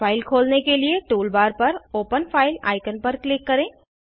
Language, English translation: Hindi, To open the file, click on Open file icon on the tool bar